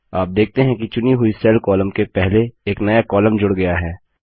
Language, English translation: Hindi, You see that a new column gets inserted before the selected cell column